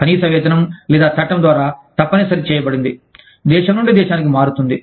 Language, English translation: Telugu, The minimum wage, that is governed by the, or, that is mandated by law, varies from, country to country